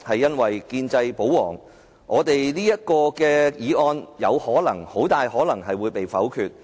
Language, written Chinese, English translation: Cantonese, 因為建制派保皇，這項議案很大可能會被否決。, Given the pro - establishment camps support for the Government this motion will very likely be negatived